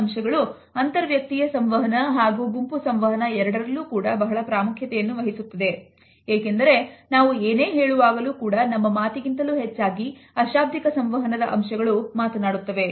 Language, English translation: Kannada, These aspects make it very important in interpersonal and group interactions because more than half of what we try to say is communicated not through words, but through the nonverbal aspects of communication